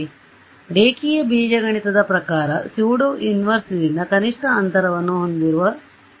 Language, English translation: Kannada, So, those of you remember your linear algebra the pseudo inverse was the solution which had minimum distance from the origin